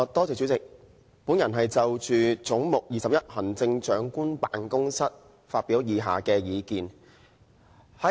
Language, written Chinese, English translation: Cantonese, 主席，我要就"總目 21― 行政長官辦公室"發表以下的意見。, Chairman I will express my views on Head 21―Chief Executives Office as follows